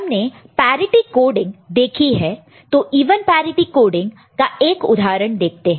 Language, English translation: Hindi, So, we have seen parity coding, so let us look at an example of even parity coding